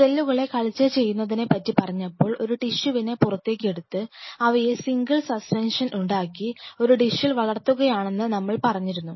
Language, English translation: Malayalam, So, if we recap, when we talked about culturing the cells, we talked about you know take a part of the tissue make a single suspension and then you culture it on a dish